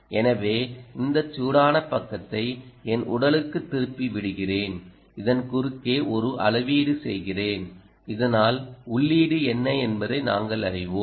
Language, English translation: Tamil, so let me put back this ah hot side to my body and i make a measurement across this so that we know what is the input